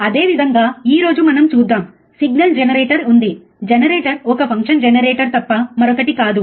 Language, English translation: Telugu, Same way we will see today, there is a signal generator signal, generator is nothing but a function generator